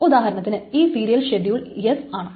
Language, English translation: Malayalam, So suppose this is a serial schedule is S